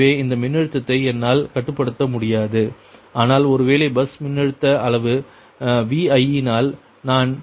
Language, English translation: Tamil, so i cannot control this voltage, but i want by, by, by bus voltage magnitude vi